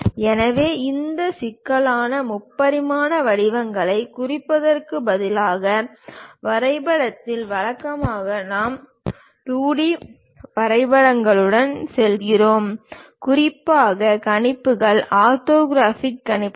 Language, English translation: Tamil, So, on drawing sheet, instead of representing these complex three dimensional shapes; usually we go with 2 D sketches, especially the projections, orthographic projections